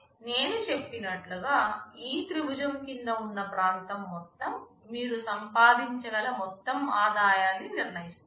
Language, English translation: Telugu, And as I mentioned the total area under this triangle will determine the total revenue that you can generate